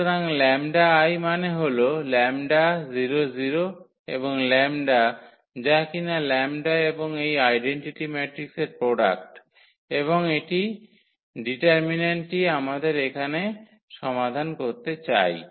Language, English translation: Bengali, So, lambda I means the lambda 0 0 and the lambda that is the product of lambda and this identity matrix and this we want to solve know the determinant here